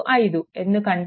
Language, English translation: Telugu, 25 because this 2